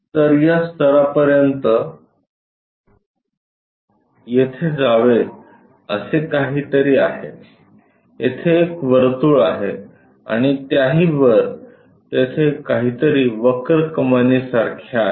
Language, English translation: Marathi, So, up to this level something supposed to go here there is a circle and above that there is something like that curve arch